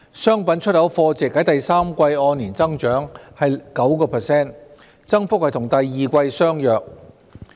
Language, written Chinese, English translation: Cantonese, 商品出口貨值在第三季按年增長 9%， 增幅與第二季相若。, Merchandise exports increased by 9 % year on year in value terms in the third quarter the growth being more or less the same as that in the second quarter